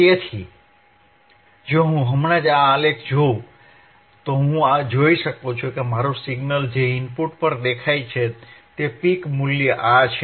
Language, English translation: Gujarati, So, if I just see this graph, right then I can see that my signal that appeared at the input, the peak value is this one,